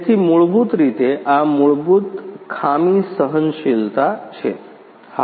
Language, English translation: Gujarati, So, this is basically the fault tolerance basically